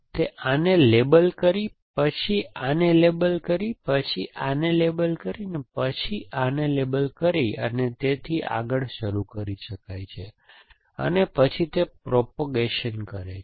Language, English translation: Gujarati, So, it can start up by labeling this then labeling this then labeling this then labeling this and so on and then it does propagation